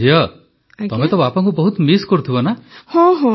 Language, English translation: Odia, But the daughter does miss her father so much, doesn't she